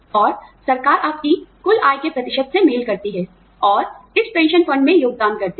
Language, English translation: Hindi, And, the government matches, a percentage of your total income, and contributes to this pension fund